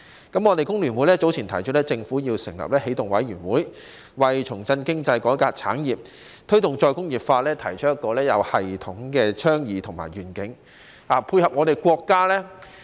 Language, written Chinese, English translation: Cantonese, 工聯會早前提出，政府要成立起動委員會，為重振經濟、改革產業和推動再工業化提出一個有系統的倡議和願景，以配合國家。, FTU has earlier proposed that the Government should set up a New Start Committee putting forward a systematic advocacy and vision to revive the economy reform the industries and promote re - industrialization so as to dovetail with the country